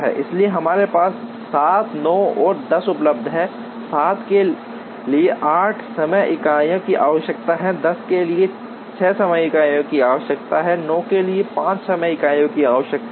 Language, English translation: Hindi, So, we have 7, 9 and 10 available, 7 requires 8 time units, 10 requires 6 time units, 9 requires 5 time units